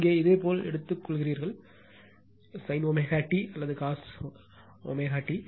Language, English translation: Tamil, Here you are taking sin omega t or cosine omega t